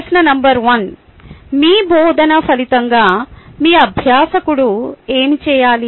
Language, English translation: Telugu, question number one: what should your learner do as a result of your teaching